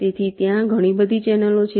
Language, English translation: Gujarati, so there are so many channels